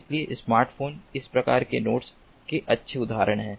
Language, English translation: Hindi, so smartphones are good examples of these type of nodes